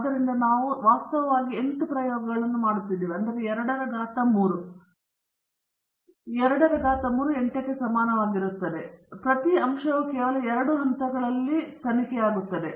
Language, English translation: Kannada, So, we end up actually doing 8 experiments; 2 power 3 which is equal to 8; 8 experiments are being done; and each factor is investigated at only two levels a higher level and the lower level